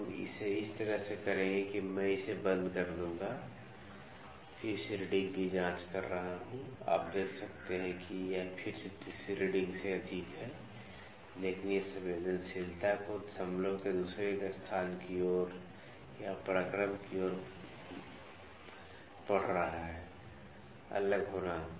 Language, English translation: Hindi, So, we will do it like this I lock it locking it, checking the reading again, you can see that it is again exceeding the third reading, but this reading the sensitivity the further to towards the second place of decimal or the towards the might vary